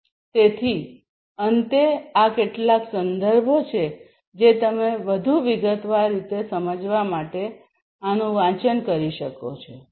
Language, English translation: Gujarati, So, finally, these are some of these references that you could go through in order to understand these concepts in greater detail